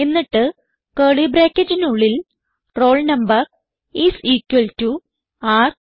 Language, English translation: Malayalam, within curly brackets roll number is equalto num